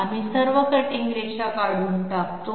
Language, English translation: Marathi, We remove all the construction lines